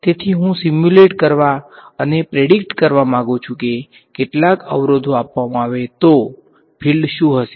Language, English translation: Gujarati, So, I want to be able to simulate and predict what are the fields given some obstacles